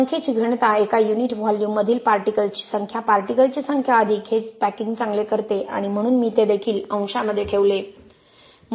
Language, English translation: Marathi, Number density, number of particles in a unit volume, more number of particles better the packing right therefore I put that also in the numerator